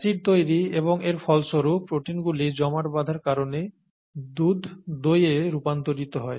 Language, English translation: Bengali, Acid formation and as a result, protein aggregation is what causes milk to turn into curd